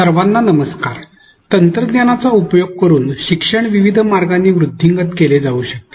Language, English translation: Marathi, Hello to all as we all know technology can be used to foster learning in various ways